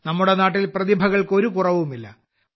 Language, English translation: Malayalam, There is no dearth of talent in our country